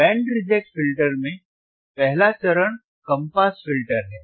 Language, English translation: Hindi, In Band Reject Filter Band Reject Filter, first stage is low pass filter